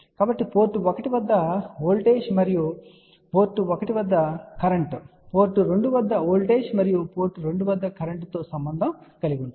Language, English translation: Telugu, So, voltage at port 1 and current at port 1, relate to voltage at port 2 and current at port 2